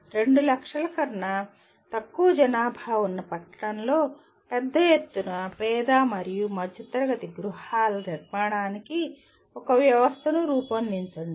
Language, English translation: Telugu, Design a system for construction of large scale poor and middle class housing in town with populations less than 2 lakhs